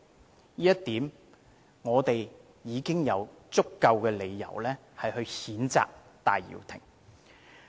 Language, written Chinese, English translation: Cantonese, 單就這一點，我們已經有足夠理由譴責戴耀廷。, This point alone has already given us a sufficient reason to condemn Benny TAI